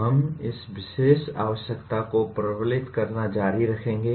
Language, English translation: Hindi, We will continue to reinforce this particular requirement